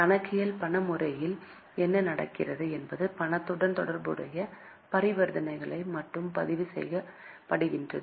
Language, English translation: Tamil, In cash system of accounting what happens is only those transactions which are related to cash are recorded